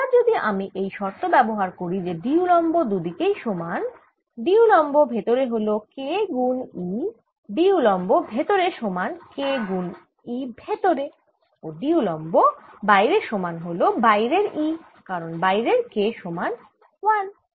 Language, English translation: Bengali, now, if i apply the condition that d perpendicular is the same, right d perpendicular is going to be k times e d perpendicular inside is going to be k times e inside and d perpendicular outside is going to be e outside because oustide k is one